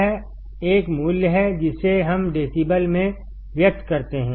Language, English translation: Hindi, This is a value that we express in decibels